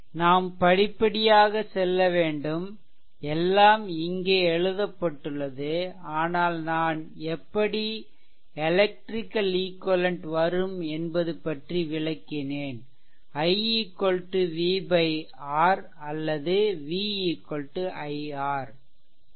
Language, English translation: Tamil, Just we will go through step by step everything is written here, but I explain that how that electrical equivalent that i is equal to v v upon R or v is equal to i R